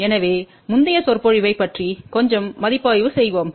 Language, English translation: Tamil, So, let us have a little bitreview of the previous lecture